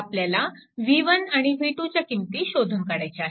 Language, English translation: Marathi, So, so, you have to find out v 1 and v 2